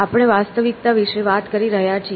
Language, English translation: Gujarati, We are talking about reality